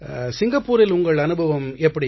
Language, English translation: Tamil, How was your experience in Singapore